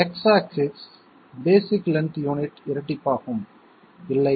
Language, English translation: Tamil, The X axis basic length unit will double, no